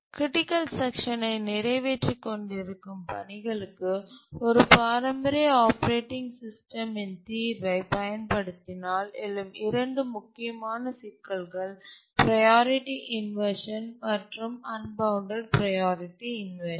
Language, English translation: Tamil, So, these are two important problems that arise if we use a traditional operating system solution for tasks executing their critical section, let's look at these two problems, priority inversion and unbounded priority inversion